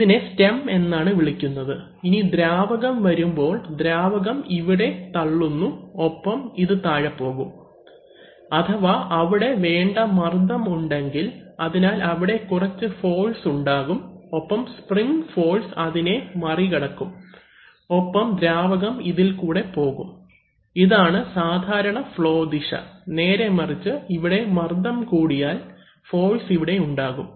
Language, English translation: Malayalam, What is that called stem and the, so now when the fluid is coming here the fluid is pushing and this will come down, if there is a certain amount of pressure, so there will be a certain amount of force on this and this spring force will be overcome and the fluid will flow out through this, this is the normal flow direction, on the other hand if the, if the pressure becomes too much here, then it may happen that the force is also here